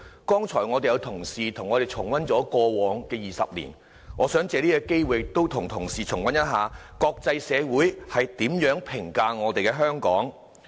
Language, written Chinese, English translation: Cantonese, 剛才有同事和我們重溫了過往20年，我想藉此機會和同事重溫一下國際社會如何評價香港。, As a Member has just now shared with us his review of the past 20 years I would also like to take this opportunity to share with Members how the international community has appraised Hong Kong